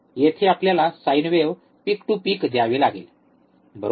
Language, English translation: Marathi, Here we have to apply a sine wave, right peak to peak to peak, right